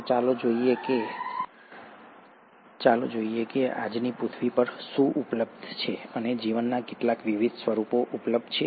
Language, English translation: Gujarati, So let’s look at what all is available and how many different forms of life are available on today’s earth